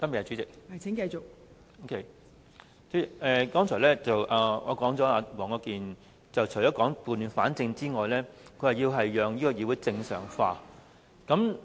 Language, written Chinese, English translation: Cantonese, 代理主席，黃國健議員剛才除了說要撥亂反正之外，還說要讓議會正常化。, Deputy President apart from setting things right Mr WONG Kwok - kin also said just now that he wanted to let this Council go back to normal